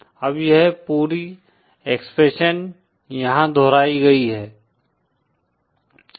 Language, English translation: Hindi, Now this whole expression is repeated here